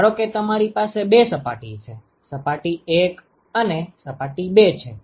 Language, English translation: Gujarati, So, supposing you have two surfaces surface 1 and surface 2 ok